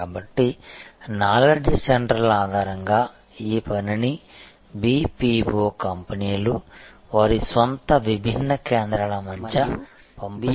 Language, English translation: Telugu, So, on the basis of knowledge centers this work is distributed by the BPO companies among their own different centers of operation